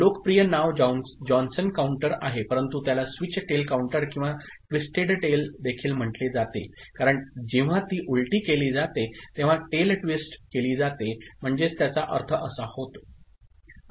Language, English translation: Marathi, Popular name is Johnson counter, but it is also called switched tail counter or twisted tail because tail is twisted when it is inverted that is that is the meaning of it